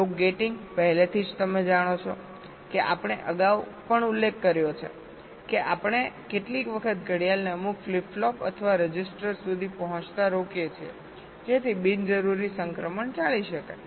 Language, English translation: Gujarati, already you know we mentioned earlier also that we sometimes selectively stop the clock from reaching some of the flip flops or registers so that unnecessary transitions are avoided